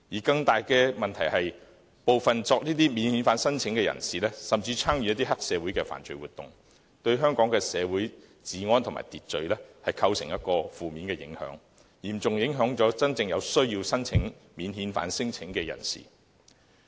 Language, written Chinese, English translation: Cantonese, 更大的問題是，部分免遣返聲請人士甚至參與黑社會的犯罪活動，對香港社會的治安和秩序構成負面影響，亦嚴重影響真正有需要申請免遣返聲請的人士。, Worse still some non - refoulement claimants have even taken part in triad activities which have negatively impacted on our rule of law and the law and order in Hong Kong and have also seriously affected those with a genuine need of lodging non - refoulement claims